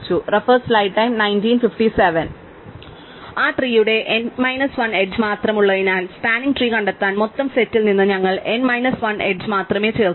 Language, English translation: Malayalam, So, since the tree has only n minus 1 edges, we will only add n minus 1 edges out of the total set to find the spanning tree